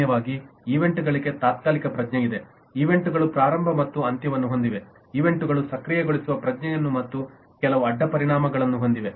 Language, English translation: Kannada, usually events have a temporal sense, events have a beginning and end, events have a sense of activation and certain side effects and so on